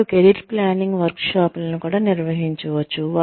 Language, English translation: Telugu, They could also organize, career planning workshops